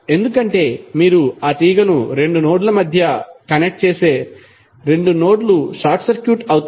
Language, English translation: Telugu, Because if you connect that wire through between 2 nodes then the 2 nodes will be short circuited